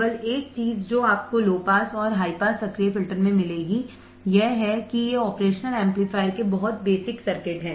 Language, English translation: Hindi, The only thing you would find in low pass and high pass active filters is that these are very basic circuits of the operational amplifier